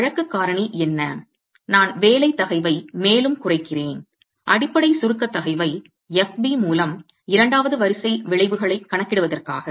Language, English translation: Tamil, What is the case factor that I must further reduce the working stress, the basic compressive stress, FB, to account for second order effects